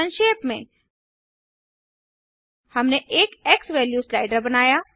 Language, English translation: Hindi, To summarize, We made a slider xValue